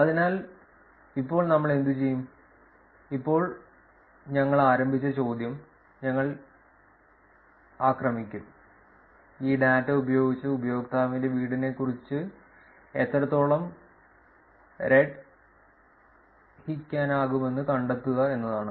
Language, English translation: Malayalam, So, now what we will do is, now we will attack the question that we started off with which is to find out how much can be actually inferred about the users' home using this data